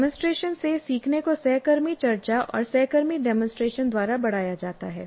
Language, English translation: Hindi, And learning from demonstration is enhanced by peer discussion and peer demonstration